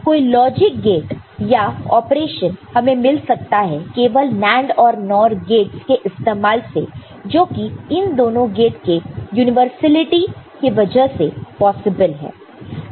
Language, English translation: Hindi, Any other logic gate or operation can be obtained using only NAND or NOR gates which is universality of this two gates